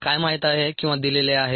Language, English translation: Marathi, so what is known or given